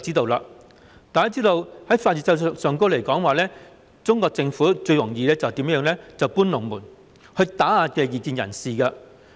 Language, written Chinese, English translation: Cantonese, 大家都知道，在法律制度上，中國政府最常以"搬龍門"來打壓異見人士。, We all know that as far as the legal system is concerned the Chinese Government often suppresses dissidents by moving the goalposts